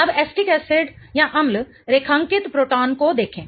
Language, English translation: Hindi, Now, acetic acid, look at the proton that is underlined